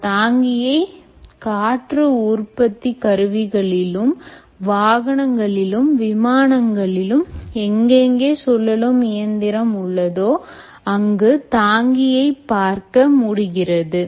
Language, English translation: Tamil, you will find bearings in wind generator, automobiles, aircrafts wherever there is rotating machinery